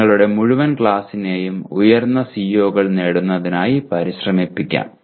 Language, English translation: Malayalam, And push the entire class towards attaining higher values for your COs